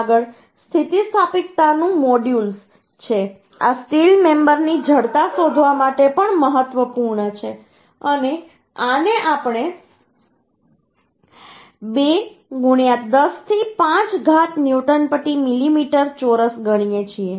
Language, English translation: Gujarati, this is also important to find out the thickness of the steel member and this we consider that 2 into the 10 to 5 newton per millimeter square